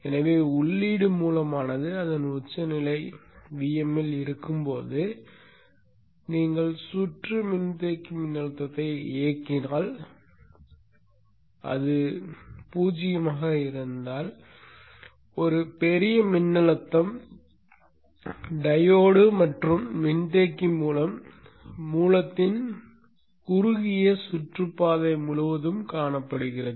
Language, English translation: Tamil, So when the input source is at its peak VM, you turn on the circuit, capacitor voltage is zero, a huge voltage of VM value is seen across the short circuited path of the source through the diode and the capacitor